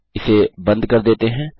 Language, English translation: Hindi, Lets close this off